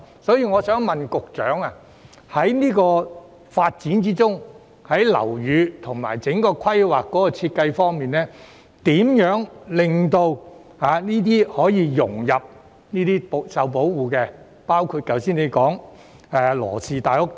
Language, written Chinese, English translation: Cantonese, 因此，我想問局長，在這個發展項目中，如何確保樓宇和整體規劃的設計能令新建項目融入這些受保護的文物之中，包括局長剛才提及的羅氏大屋等？, Therefore may I ask the Secretary how they would ensure in this development project that the design of the buildings and the overall planning can integrate the newly built items into these protected cultural relics including the Law Mansion mentioned by the Secretary just now?